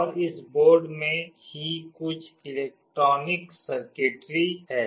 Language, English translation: Hindi, And in this board itself there is some electronic circuitry